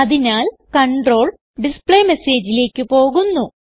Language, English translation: Malayalam, So the control goes to the displayMessage